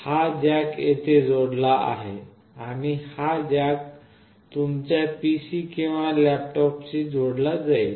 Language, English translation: Marathi, This jack is connected here and this jack is will be connected to your PC or laptop